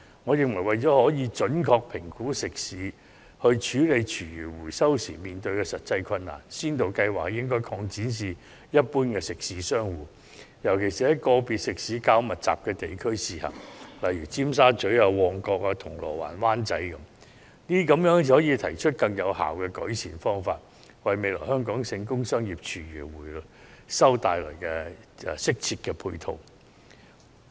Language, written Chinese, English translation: Cantonese, 我認為，為了準確評估食肆處理廚餘回收時面對的實際困難，先導計劃應該擴展至一般食肆商戶，尤其在食肆較密集的地區試行，例如尖沙咀、旺角、銅鑼灣、灣仔等，這樣才有助制訂更有效的改善方法，為未來在全港推行工商業廚餘回收提供適切的配套。, In my opinion in order to accurately assess the practical difficulties that restaurants encounter in recycling food waste the pilot scheme should be expanded to cover restaurants and stores in general especially those in districts with a lot of restaurants such as Tsim Sha Tsui Mong Kok Causeway Bay and Wan Chai . This will help formulate more efficient improvement measures and suitable complementary measures to assist the community - wide implementation of food waste recycling from commercial and industrial sources